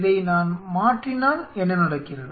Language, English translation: Tamil, If I change this